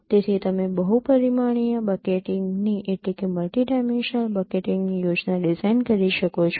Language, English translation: Gujarati, So you can design a scheme of multi dimensional bucketing